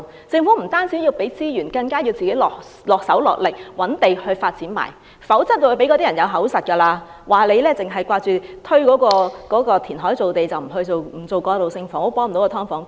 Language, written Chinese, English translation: Cantonese, 政府不單要投放資源，更要身體力行，覓地發展，否則便會予人口實，說政府只想填海造地而不肯發展過渡性房屋，幫不到"劏房"居民。, The Government not only has to provide resources but also make efforts to identify land for development of transitional housing . Otherwise people will say that the Government only wants to create land by reclamation and is not willing to develop transitional housing to help the tenants of subdivided units